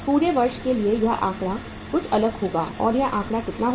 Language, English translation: Hindi, It means for the whole of the year the figure will be something different and that figure will be how much